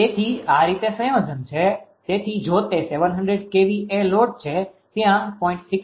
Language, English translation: Gujarati, So, this way combination, so if that is 700 kvr load is there 0